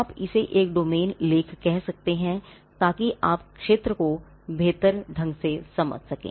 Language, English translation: Hindi, Say, you can call it a domain article so that you understand the field better